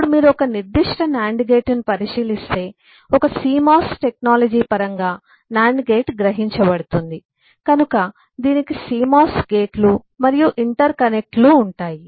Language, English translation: Telugu, now if you look into a particular nand gate, typically a nand gate will be realized in terms of a cmos technology, so it will have cmos gates and interconnects